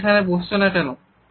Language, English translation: Bengali, Why do not you sit there